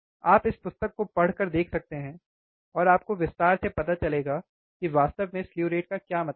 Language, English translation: Hindi, You can refer to this book, and you will get in detail what exactly the slew rate means